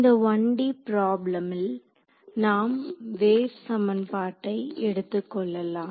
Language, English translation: Tamil, So, this 1D problem we will take the wave equation ok